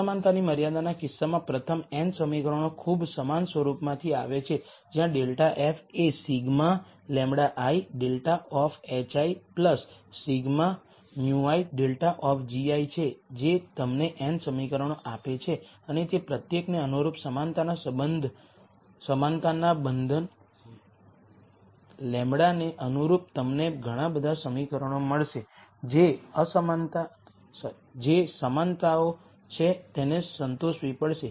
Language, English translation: Gujarati, In the inequality constraint case, the first n equations come from a very similar form where minus grad f is sigma lambda i grad of h i plus sigma mu i grad of g i that gives you n equations and corresponding to every one of those lambda corresponding to equality constraints you will get so many equations which are the equalities have to be satisfied